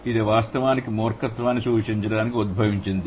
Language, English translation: Telugu, It is derived actually to indicate foolishness